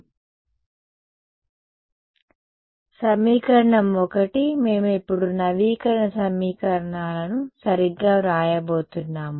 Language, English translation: Telugu, So, equation 1, we are going to write the update equations now ok